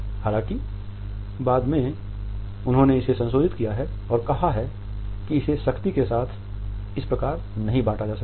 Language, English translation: Hindi, Even though he has later on modified it and said that it cannot be rigidly compartmentalized as it is